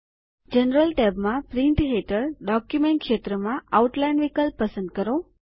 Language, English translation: Gujarati, In the General tab, under Print, in the Document field, choose the Outline option